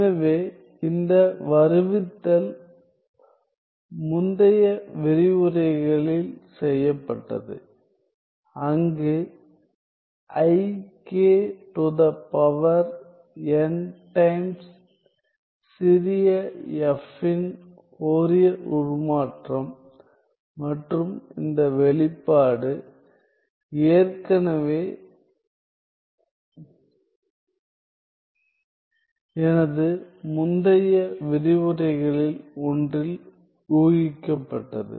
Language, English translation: Tamil, So, this derivation was done in an earlier sorry i k to the power n times Fourier transform of small f and this expression was already deduced in one of my previous lectures